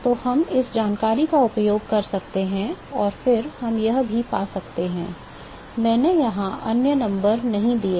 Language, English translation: Hindi, So, we can use this information and then we can also find, I have not given other numbers here